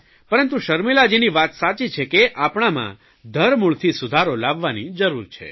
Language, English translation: Gujarati, Sharmila ji has rightly said that we do need to bring reforms for quality education